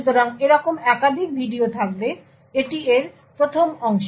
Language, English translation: Bengali, So, there will be multiple such videos, this is the 1st part of it